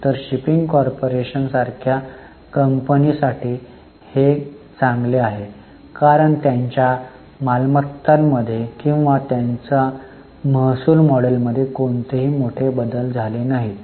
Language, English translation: Marathi, So, for a company like shipping corporation, it's good because there has not been major changes either in their assets or in their revenue model